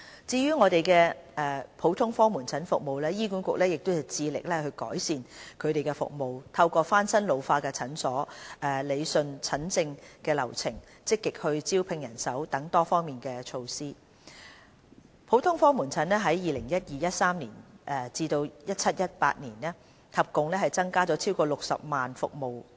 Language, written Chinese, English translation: Cantonese, 至於普通科門診服務，醫院管理局致力改善服務，透過翻新老化診所、理順診症流程、積極招聘人手等多方面措施，普通科門診在 2012-2013 年度至 2017-2018 年度合共增加超過60萬服務人次。, The Hospital Authority HA endeavours to improve its general outpatient GOP services through renovating its ageing clinics to streamline patient flow and actively recruiting staff . With the implementation of various measures HA has increased the number of GOP attendance by a total of over 600 000 attendances from 2012 - 2013 to 2017 - 2018